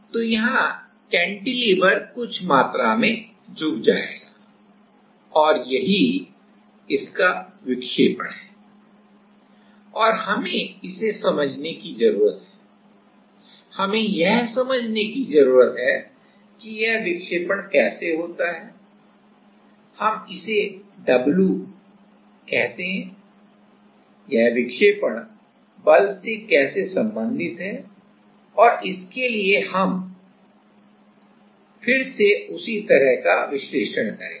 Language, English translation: Hindi, So, here the cantilever will bend / some amount and this is what its deflection is and we need to understand that; we need to understand that how this deflection, let us call it w, how this deflection is related to the force and for that we will be doing the same kind of analysis again